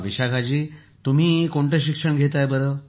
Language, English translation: Marathi, Vishakha ji, what do you study